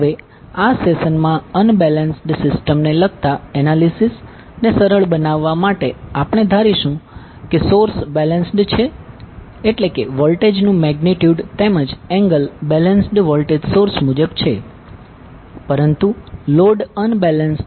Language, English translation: Gujarati, Now to simplify the analysis related to unbalanced system in this particular session we will assume that the source is balanced means the voltages, magnitude as well as angle are as per the balanced voltage source, but the load is unbalanced